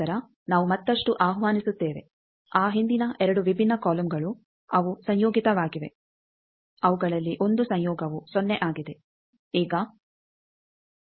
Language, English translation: Kannada, Then we invoke further those earlier 2 different columns they are conjugate one of their conjugate that was 0